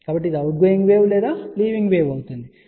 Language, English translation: Telugu, So, this is the outgoing wave or leaving wave, ok